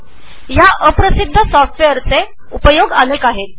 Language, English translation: Marathi, The uses of this little known software are limitless